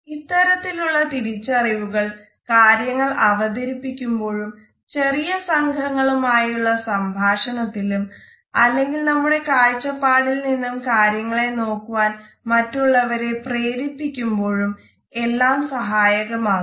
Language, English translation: Malayalam, And this understanding is very helpful particularly when we have to make presentations or when we have to talk to people in a small group or we want to persuade somebody to look at things from our perspective